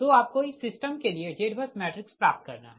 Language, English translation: Hindi, but only thing is that you have to have that z bus matrix